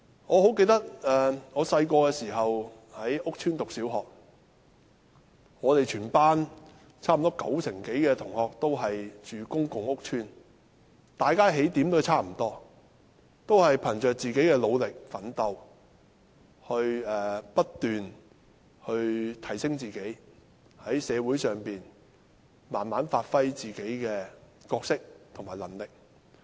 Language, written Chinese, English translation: Cantonese, 我十分記得，我小時候在屋邨讀小學，全班差不多九成的同學均居住在公共屋邨，大家的起點差不多，都是憑着自己的努力奮鬥，不斷提升自己，在社會上慢慢發揮個人的角色和能力。, I remember very well that when I was a pupil in a primary school in my housing estate almost 90 % of my classmates lived in public housing estates . Setting off from similar starting lines we kept advancing with our own efforts and gradually gave full play to our roles and abilities in society